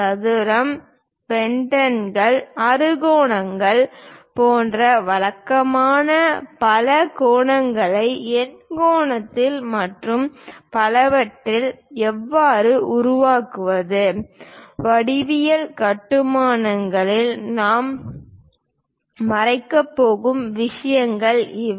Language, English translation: Tamil, And how to construct regular polygons like square, pentagon, hexagon and so on octagon and so on things; these are the things what we are going to cover in geometric constructions